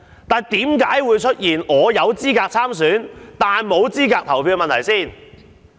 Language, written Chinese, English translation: Cantonese, 不過，為何我有資格參選但無資格投票？, Nevertheless why was I qualified to run as a candidate but ineligible to vote?